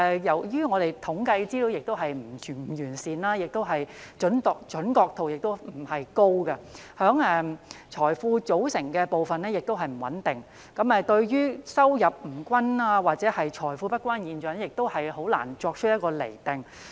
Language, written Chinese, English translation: Cantonese, 由於我們的統計資料不完善，準確度不高，財富組成部分的數字亦不穩定，故此，對於收入不均或財富不均的現象，我們難以作出釐定。, The inadequacy and inaccuracy of our statistical data and the fluctuating figures about the components of wealth have made it difficult for us to gauge the situation of uneven distribution of income or wealth